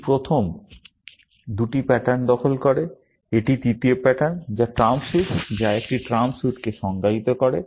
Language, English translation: Bengali, This captures the first two patterns, and this is the third pattern, which is the trump suit, which defines a trump suit